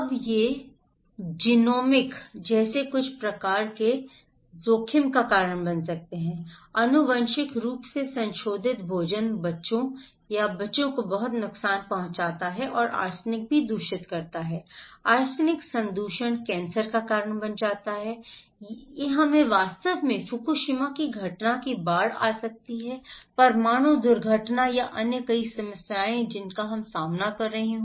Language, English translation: Hindi, Now, it can cause some kind of risk like genomic, genetically modified food can cause a lot of damage to the children, kids and also arsenic can contaminate, arsenic contamination can cause cancer or we can have flood in fact, of events of Fukushima a nuclear accident or other many problems we are facing